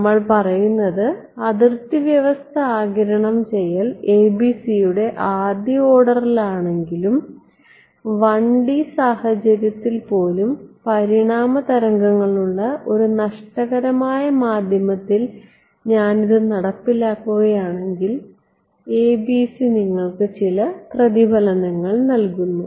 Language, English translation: Malayalam, We were saying that absorbing boundary condition the first order ABC even if I have, if I implement it in a lossy medium where there are evanescent waves even in a 1D case the ABC does not gives you a reflection and gives some reflection